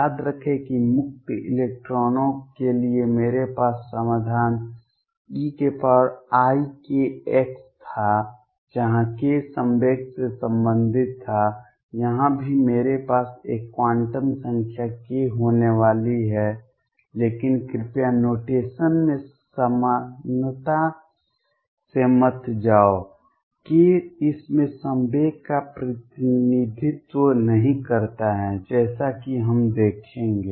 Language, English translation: Hindi, Recall that for free electrons I had the solution e raise to i k x, where k was related to momentum here also I am going to have a quantum number k, but please do not go by the similarity in the notation k does not represent the momentum in this case as we will see